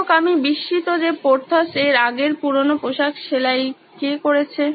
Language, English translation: Bengali, However, I wonder who stitched those previous old clothes of Porthos